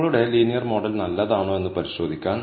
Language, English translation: Malayalam, So, in order to check, if your linear model is good